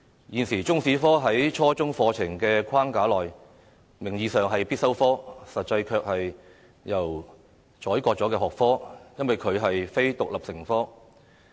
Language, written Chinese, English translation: Cantonese, 現時中史科在初中課程的框架內，名義上是必修科，實際上卻是任由宰割的學科，因為它並非獨立成科。, Under the curriculum framework of junior secondary schools Chinese History is nominally a compulsory subject but in reality it survives at the mercy of other subjects for it is not an independent subject